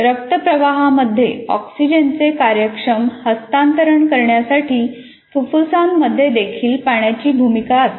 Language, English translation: Marathi, And water also plays a role in lungs for the efficient transfer of oxygen into the bloodstream